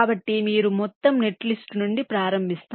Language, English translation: Telugu, so you start from the whole netlist